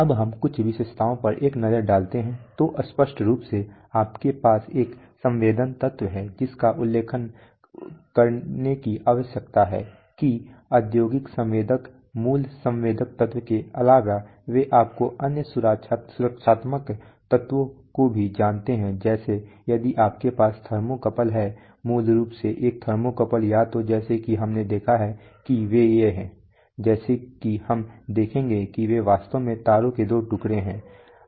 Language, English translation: Hindi, Some characteristics, so obviously you have a sensing element one thing that needs to be mentioned is that industrial sensor, apart from the basic sensing element they also have you know other protective elements like if you have a thermocouple, basically a thermocouple are either as we have seen that they are, as we will be seeing they are actually two pieces of wires